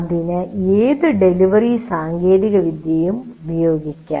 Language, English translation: Malayalam, It can use any of the delivery technologies we talked about